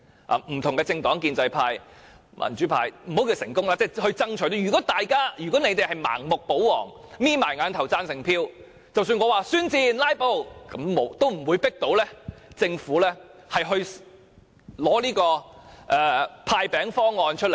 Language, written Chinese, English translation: Cantonese, 不同的政黨，建制派、民主派等也有份爭取，如果建制派盲目保皇，閉上眼睛投贊成票，即使我宣戰、"拉布"也不能強迫政府拿出"派錢"方案。, If the pro - establishment camp protects the Government blindly and votes for the Budget with its eyes closed then I cannot compel the Government to hand out cash even if I declare war on it and start filibustering